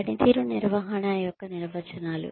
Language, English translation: Telugu, Definitions of performance management